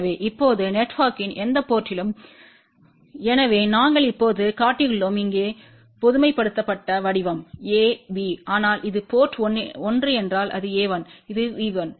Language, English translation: Tamil, So, now, at any port of the network, so we have just shown here the generalized form a b, but suppose if it is a port 1 then this will be a 1, this will be V 1, if it is port 2 this will be a 2 and this will be V 2 and so on